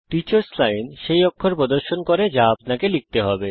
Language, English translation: Bengali, The Teachers Line displays the characters that have to be typed